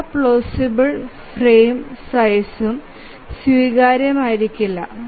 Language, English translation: Malayalam, All plausible frame sizes may not be acceptable